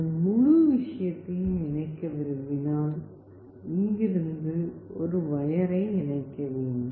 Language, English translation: Tamil, If you want to connect the whole thing you have to connect a wire from here till here